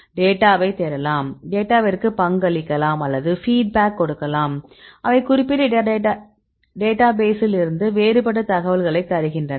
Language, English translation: Tamil, So, you can search the data or you can contribute the data or also you can give the feedbacks, and also they give all the different information right from this particular database